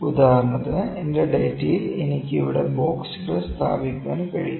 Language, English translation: Malayalam, For instance I can have boxes here in my data, ok